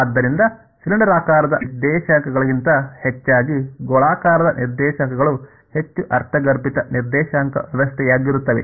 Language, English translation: Kannada, So then the rather than cylindrical coordinates spherical coordinates is going to be the most intuitive coordinate system